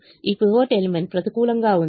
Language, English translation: Telugu, this pivot element is negative